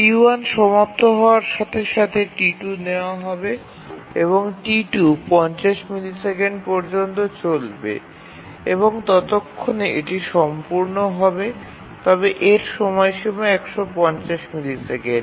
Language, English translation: Bengali, And as T11 completes T2 will be taken up and T2 will run up to 50 milliseconds and by the time it will complete but its deadline is 150